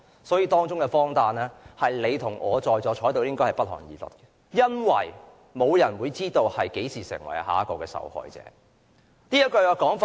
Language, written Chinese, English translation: Cantonese, 所以，當中的荒誕是你與我在座的人也會感到不寒而慄的，因為沒有人會知道何時成為下一個受害者。, Therefore the absurdity involved really terrifies all of us who are present here because no one knows when he or she will become the next victim